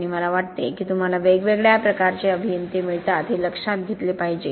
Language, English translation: Marathi, And I think one has to realize you get different kinds of engineers